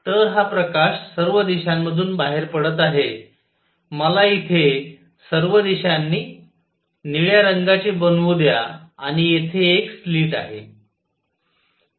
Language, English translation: Marathi, So, this light is coming out in all directions here let me make it with blue in all directions here and here is a slit